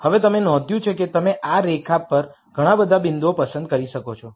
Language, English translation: Gujarati, Now, you notice that you could pick many many points on this line